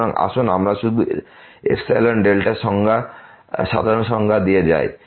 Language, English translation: Bengali, So, let us just go through the standard definition of epsilon delta